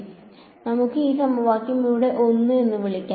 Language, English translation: Malayalam, So, let us call this equation 1 over here